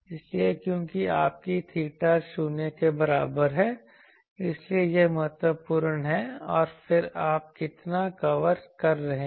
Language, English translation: Hindi, So, because where is your theta is equal to 0, that is important and then how much you are covering